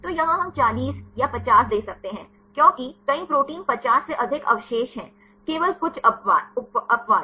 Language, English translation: Hindi, So, here we can give 40 or 50 because several proteins are more than 50 residues; only few exceptions